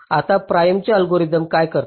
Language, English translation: Marathi, now, prims algorithm, what it does